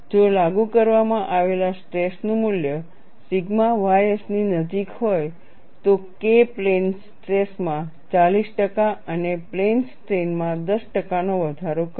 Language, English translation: Gujarati, If the value of applied stress is closer to sigma ys, K will increase by 40 percent in plane stress and 10 percent in plane strain, so that relative increase of K is significant